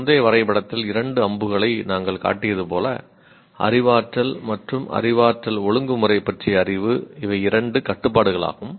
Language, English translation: Tamil, As we said two arrows in the earlier diagram, the knowledge about cognition and regulation of cognition